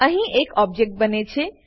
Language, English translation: Gujarati, Here an object gets created